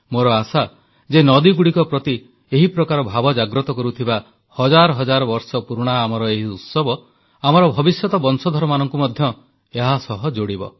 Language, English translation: Odia, I hope that this ancient festival, that has helped create a positive mindset towards rivers among us, will continue to bring our future generations also closer to the rivers